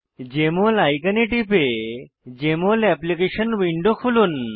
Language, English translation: Bengali, Click on the Jmol icon to open the Jmol Application window